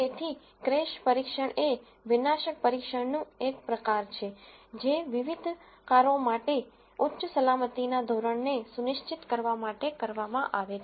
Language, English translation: Gujarati, So, a crash test is a form of destructive testing that is performed in order to ensure high safety standard for various cars